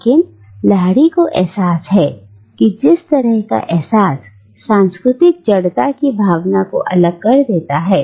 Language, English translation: Hindi, But Lahiri realises that it can also as easily shut one out from all sense of cultural rootedness